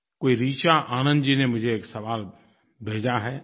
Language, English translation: Hindi, One Richa Anand Ji has sent me this question